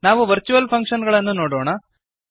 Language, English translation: Kannada, Let us see virtual functions